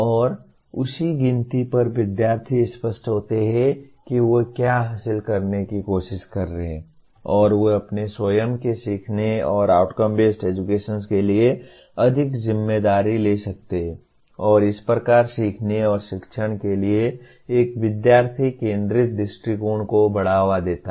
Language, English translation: Hindi, And on the same count students are clear about what they are trying to achieve and they can take more responsibility for their own learning and outcome based education thus promotes a student centered approach to learning and teaching